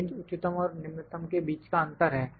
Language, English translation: Hindi, Range is our difference between the maximum and the minimum value